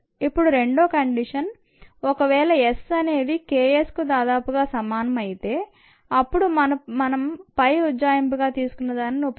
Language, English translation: Telugu, now is the second condition: if s is is approximately equal to k s, then we cannot use the above approximation